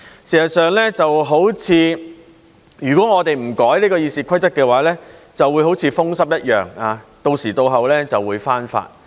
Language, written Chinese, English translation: Cantonese, 事實上，如果我們不修改《議事規則》的話，就會好像風濕一樣，到時到候就會復發。, In fact if we do not amend RoP the problem will relapse from time to time just like rheumatic diseases